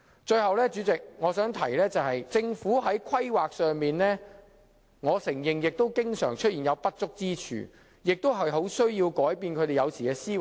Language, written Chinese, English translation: Cantonese, 主席，我想提出的最後一點是，我承認政府在規劃方面常有不足之處，所以有需要改變政府的思維。, President the last point I wish to put forward is that I admit the Governments planning leaves much to be desired and it also needs to change its mentality